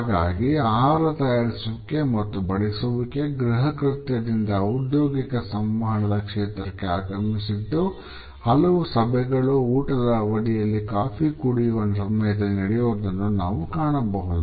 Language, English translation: Kannada, So, from a domestic chore the preparation and serving of food has entered the realm of professional communication and we look at several meetings being conducted over a lunch, during coffee breaks etcetera